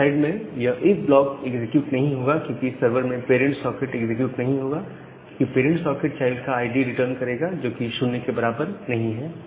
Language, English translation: Hindi, So, in the server side this particular if block will not get executed, because in the server in the parent side, parent socket this will not get executed, because the parent socket will return the ID of the child